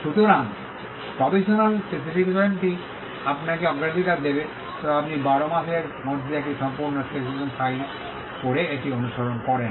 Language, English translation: Bengali, So, the provisional specification will get you the priority, but provided you follow it up by filing a complete specification within 12 months